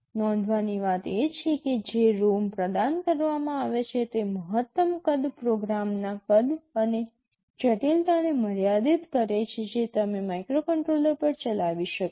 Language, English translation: Gujarati, The point to note is that the maximum size of the ROM that is provided limits the size and complexity of the program that you can run on the microcontroller